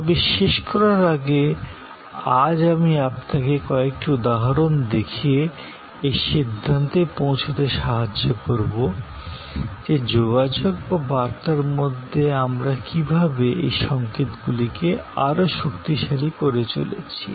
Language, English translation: Bengali, But, today I will be conclude by showing you some examples that how in the communication we continue to reinforce these signals